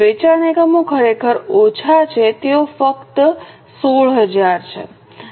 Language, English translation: Gujarati, Sale units are actually less, they are only 16,000